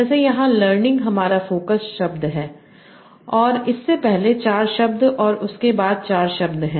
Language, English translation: Hindi, So like here, learning is my focus word and there are four words before it and four words after that